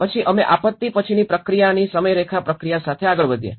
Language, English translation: Gujarati, Then we moved on with the timeline process of pre disaster to the post disaster process